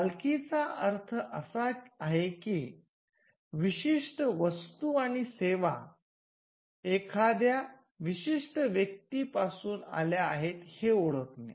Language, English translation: Marathi, By ownership we mean the ability to identify that, certain goods and services came from a particular entity